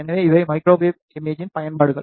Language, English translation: Tamil, So, these are the applications of microwave imaging